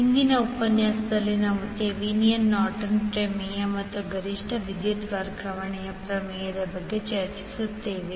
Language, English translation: Kannada, So in today’s session we will discuss about Thevenin’s, Nortons theorem and Maximum power transfer theorem